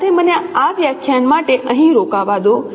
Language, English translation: Gujarati, With this let let me stop here for this lecture